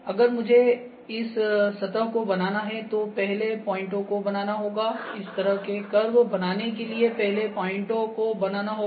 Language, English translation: Hindi, So, if I need to produce this surface the points would be produced first, this kind of curve the points would be produced first